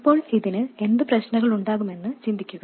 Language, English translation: Malayalam, Now please think about what problems this could have